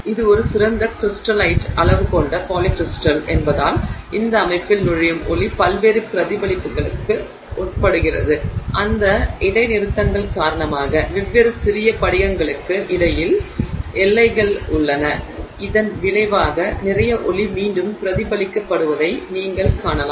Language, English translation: Tamil, And because it is a polycrystall with a fine crystallite size, the light that enters this system undergoes a lot of different reflections due to all those discontinuities that are there that boundaries between the different small crystals